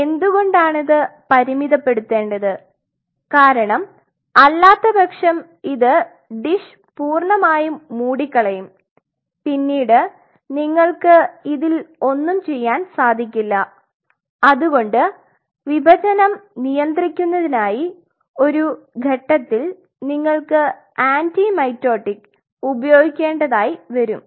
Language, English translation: Malayalam, Why it has to be finite because otherwise this is going to completely cover the dish will not be able to really figure it out how one can do so then possibly at some point or other in order to restrict the division you may have to use something called an anti mitotic